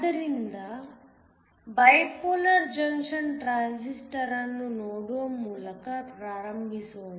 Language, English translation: Kannada, So, Let us start by looking at a Bipolar Junction Transistor